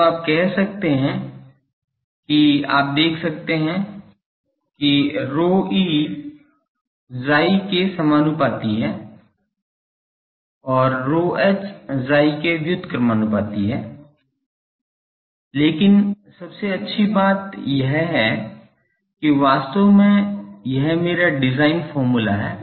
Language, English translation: Hindi, So, you can say that, the you see rho e is proportional to Chi and rho h is inversely proportional to chi, but the best thing is this is actually my design formula